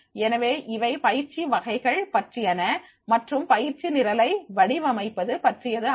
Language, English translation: Tamil, So, this is all about the types of training and the designing of the training program